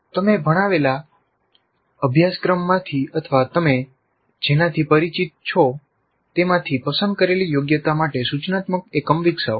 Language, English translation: Gujarati, Developed an instructional unit for a chosen competency from the course you taught or you are familiar with